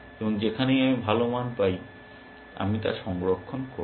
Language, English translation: Bengali, And wherever I get the better value I will store that